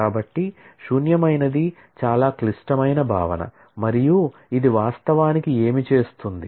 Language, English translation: Telugu, So, null is a very critical concept and what it actually does